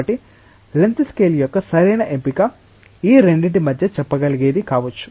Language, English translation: Telugu, So, correct choice of length scale maybe something which can be say in between these two